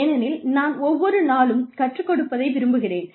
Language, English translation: Tamil, Because, I like learning, every day